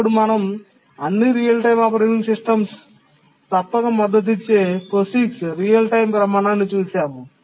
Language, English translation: Telugu, And then we looked at a standard, the POIX real time standard, which all real time operating systems must support